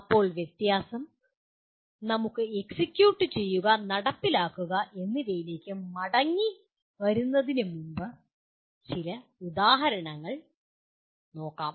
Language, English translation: Malayalam, Now the difference is, let us look at some examples before we come back to execute and implement